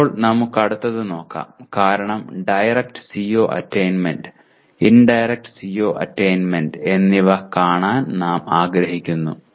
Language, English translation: Malayalam, Now let us look at the next one because we want to look at direct CO attainment as well as indirect CO attainment